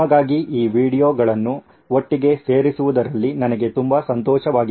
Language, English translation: Kannada, I had a lot of fun putting these videos together for you